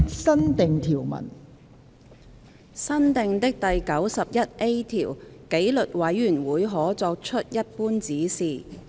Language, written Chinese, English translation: Cantonese, 新訂的第 91A 條紀律委員會可作出一般指示。, New clause 91A Disciplinary committee may give general directions